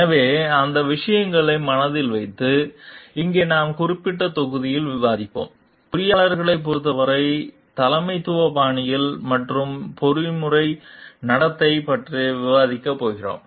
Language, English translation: Tamil, So, keeping those things in mind, here we will discuss about in this particular modules, we are going to discuss about the leadership styles and ethical conduct with respect to engineers